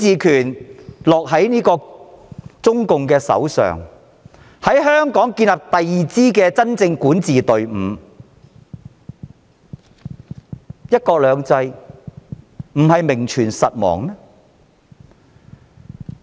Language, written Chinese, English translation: Cantonese, 如中共掌握全面管治權，在香港建立第二支真正管治隊伍，"一國兩制"將會名存實亡。, If CPC exercises overall jurisdiction over Hong Kong by setting up a second de facto governing team in Hong Kong one country two systems will exist in name only